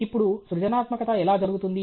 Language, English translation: Telugu, Now, how does creativity occur